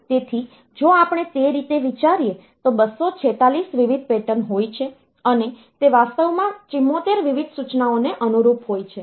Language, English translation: Gujarati, So, if we consider that way then there can be 246 different patterns, and that correspond to actually 74 different instructions